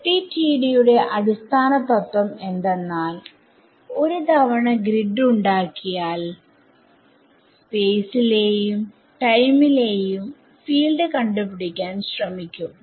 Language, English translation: Malayalam, So, one of the sort of basic principles in FDTD is that once I get the once I make this grid I am going to evolve the field in space and time